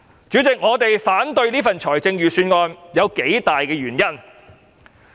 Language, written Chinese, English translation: Cantonese, 主席，我反對此份預算案，原因有數點。, President I oppose the Budget for a number of reasons